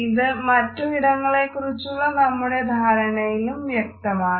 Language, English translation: Malayalam, This can be found in other aspects of our understanding of space